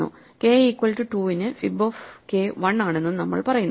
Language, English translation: Malayalam, We say for k equal to 2, fib of k is 1